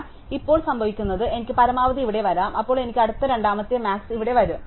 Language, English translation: Malayalam, So, now what will happen is, I will have the max coming here, then I will have the next second max coming here and so on